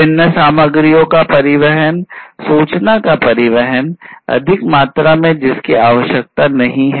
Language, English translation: Hindi, So, you know transportation of different materials, transportation of information in excess that is not required